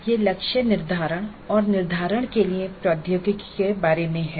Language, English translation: Hindi, This is about the technology for assessment and setting the targets